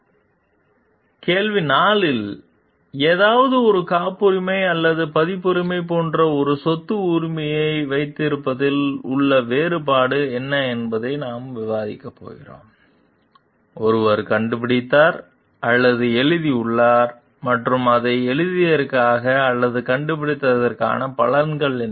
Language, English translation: Tamil, In key question 4 we are going to discuss on what is the difference between having a property right, such as a patent or copyright for something, one has invented or written and credit for having written or invented it